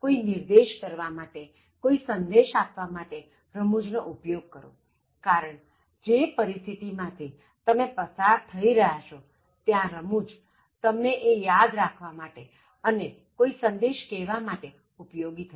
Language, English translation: Gujarati, Also try to use humour, in order to make a point, in order to give a message because humour, if you think about the situation that you have come across, humour makes you remember things easily and humour can convey a message effectively